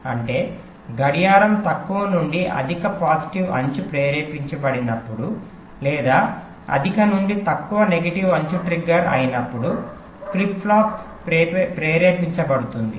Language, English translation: Telugu, that means the flip flop gets trigged whenever the clock goes from low to high positive edge trigged, or from high to low negative edge trigged